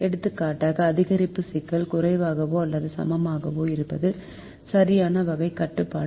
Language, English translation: Tamil, for example, maximization problem: less than or equal is a correct type of constraint